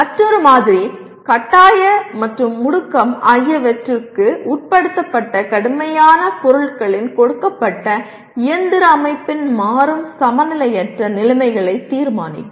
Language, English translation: Tamil, Another sample, determine the dynamic unbalanced conditions of a given mechanical system of rigid objects subjected to force and acceleration